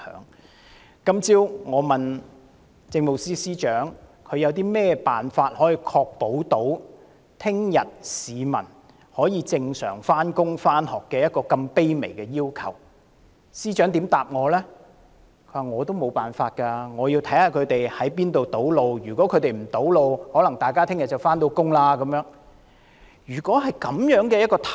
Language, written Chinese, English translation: Cantonese, 我今早詢問政務司司長，有何辦法可確保市民明天可正常上班和上學，對於這麼卑微的要求，司長回答他也沒有辦法，要視乎何處出現堵路，如沒有堵路行動，市民便可如常上班。, I asked the Chief Secretary for Administration this morning about the measures in place to ensure that members of the public can go to work and school as usual tomorrow . This is just a very humble request but the Chief Secretary for Administration replied that there was nothing he could do and things actually depended on where the blockage of roads happened . According to him we can all go to work as usual if no blockage of roads happens